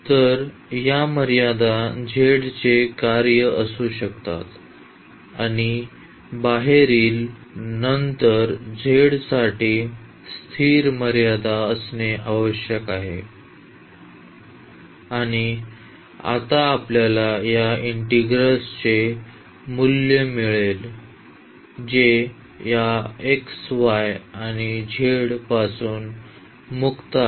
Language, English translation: Marathi, So, these limits can be the function of z and the outer one then that has to be the constant limits for z and now we will get a value of this integral which is free from this x y and z